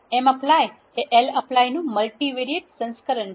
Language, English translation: Gujarati, mapply is a multivariate version of lapply